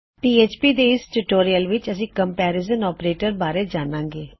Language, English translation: Punjabi, In this PHP tutorial we will learn about Comparison Operators